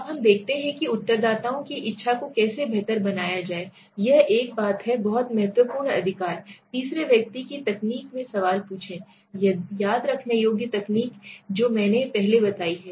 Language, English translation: Hindi, Now let us look at how to improve the willingness of the respondents, this is one thing which is very important right, ask the question in the third person technique so what happens if you remember the projective techniques which I have explained earlier